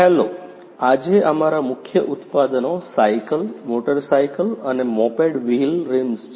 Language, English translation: Gujarati, Hello, today our main products are a bicycle, motorcycle and moped wheel rims